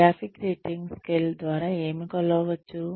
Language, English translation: Telugu, What can be measured, through the graphic rating scale